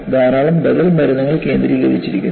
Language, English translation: Malayalam, There are a lot of alternative medicines have been focused upon